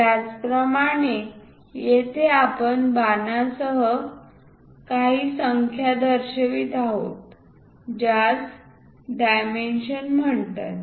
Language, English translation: Marathi, Similarly, here also we are showing some numerals with arrows those are called dimension